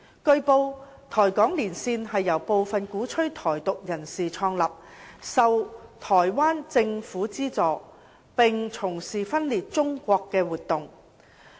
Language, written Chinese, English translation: Cantonese, 據報，台港連線是由部分鼓吹"台獨"人士創立、受台灣政府資助，並從事分裂中國的活動。, It has been reported that the Caucus established by some advocates of Taiwan Independence and funded by the Taiwanese Government has been engaging in activities to split up China